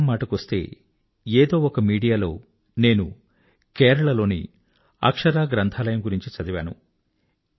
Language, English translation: Telugu, Now that we are conversing about reading, then in some extension of media, I had read about the Akshara Library in Kerala